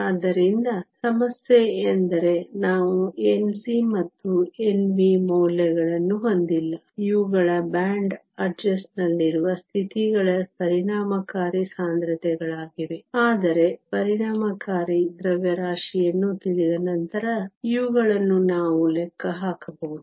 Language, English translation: Kannada, So, the problem is we do not have the values of N c and N v; these are the effective densities of states at the band adjust, but these we can calculate once we know the effective mass